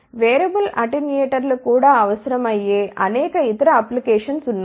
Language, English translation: Telugu, There are many other applications where even variable attenuators are required